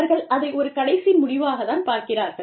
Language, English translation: Tamil, And, that is, when they see it, as a last resort